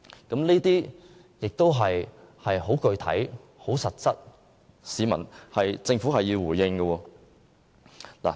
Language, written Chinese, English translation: Cantonese, 這些都是很具體及實質的問題，政府必須回應。, All these are our specific and real concerns and the Government must address them